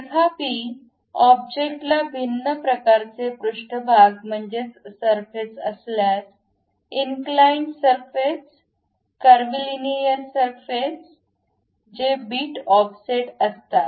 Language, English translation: Marathi, However, if object have different kind of surfaces; inclined surfaces, curvy linear surfaces which are bit offset